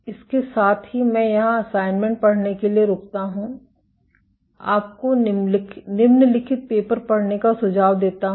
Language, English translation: Hindi, With that I stop here as reading assignment, I suggest you to read the following to papers